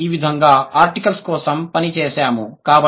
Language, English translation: Telugu, This is how we worked for the articles